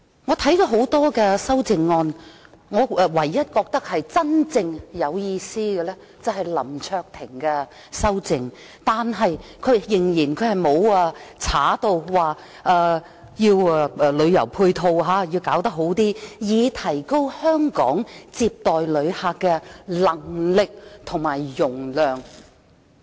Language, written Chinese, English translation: Cantonese, 我看了多項修正案，唯一覺得真正有意思的是林卓廷議員的修正案，但他仍然沒有刪除"加快增設旅遊配套設施，以提高香港接待旅客的能力和容量"。, Having examined a number of amendments the only one I consider meaningful is the one proposed by Mr LAM Cheuk - ting who still does not delete expedite the provision of additional tourism supporting facilities to upgrade Hong Kongs visitor receiving capability and capacity